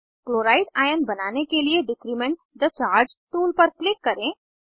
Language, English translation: Hindi, To form Chloride ion, click on Decrement the charge tool